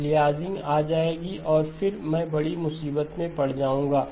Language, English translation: Hindi, Aliasing will come and then I will be in bigger trouble